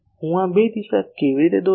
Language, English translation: Gujarati, How I draw this two direction